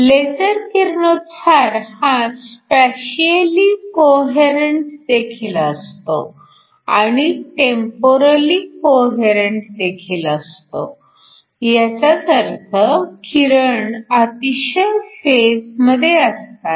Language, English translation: Marathi, LASER radiation is also spatially coherent and it is also temporally coherent, which means the radiation is highly in phase